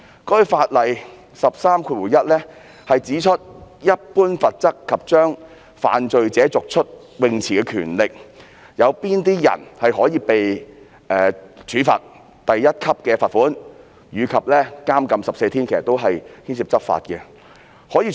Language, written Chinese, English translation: Cantonese, 在第131條"一般罰則及將犯罪者逐出泳池的權力"中，指出有甚麼人會被處罰第1級罰款及監禁14天，這涉及執法問題。, Section 131 which concerns general penalties and power to remove offenders from swimming pool specifies what kind of persons shall be liable to a fine at level 1 and to imprisonment for 14 days . This provision concerns law enforcement . Conditions under which a person shall be liable to punishment include contravention of section 106